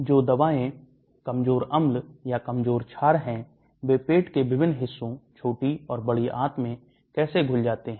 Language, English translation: Hindi, How drugs which are weakly acidic or weakly basic, how they dissolve in various parts of the stomach, small and large intestine